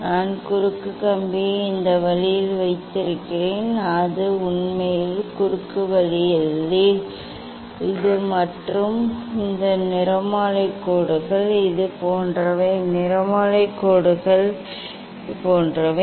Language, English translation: Tamil, I keep cross wire this way it s really crosses not in plus position cross way; this and this spectral lines are like this; spectral lines are like this